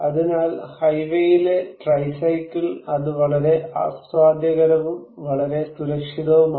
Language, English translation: Malayalam, So, tricycle on highway and that is very enjoyable, very safe